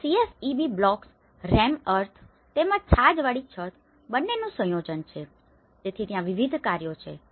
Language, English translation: Gujarati, So, there is a combination of both these CSEB blocks, rammed earth as well as thatched roofs, so there is different works